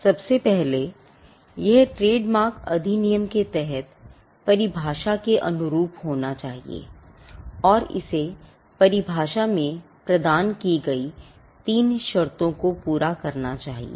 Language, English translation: Hindi, First, it should conform to the definition of trademark under the act and it should satisfy the 3 conditions provided in the definition